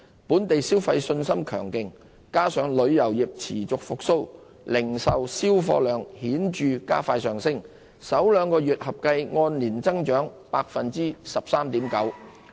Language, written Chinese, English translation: Cantonese, 本地消費信心強勁，加上旅遊業持續復蘇，零售銷貨量顯著加快上升，首兩個月合計按年增長 13.9%。, As consumer confidence in Hong Kong blossoms and the tourism industry continues to recover the pace of growth in retail sales by volume noticeably picked up with the total sales of the first two months having grown by 13.9 % year on year